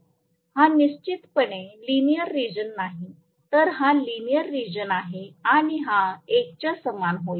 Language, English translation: Marathi, This is definitely not a linear region, whereas this is the linear region and this is going to be slip equal to 1